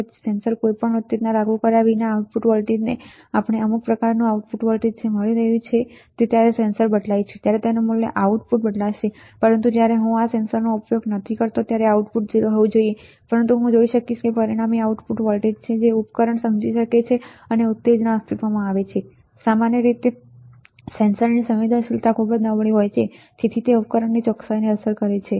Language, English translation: Gujarati, Then without applying any stimulus to the sensor the output voltage we are getting some kind of output voltage right, when the sensor changes it is value the output will change, but when I am not using this sensor at all the output should be 0, but I will see that there is an resultant output voltage, the system may understand that stimulus exist, generally the sensitivity of the sensor is very poor and hence it affects the accuracy of the system right